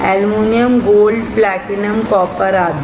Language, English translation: Hindi, Aluminum, Gold, Platinum, Copper etc